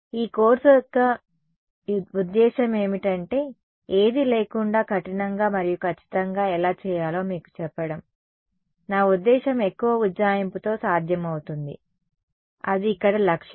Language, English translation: Telugu, The point of this course is to tell you how to do it rigorously and exactly, without any without I mean with as little approximation is possible that is the objective over here ok